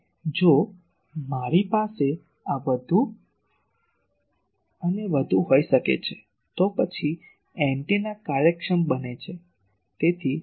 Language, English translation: Gujarati, So, if I can have more and more of this, then the antenna becomes efficient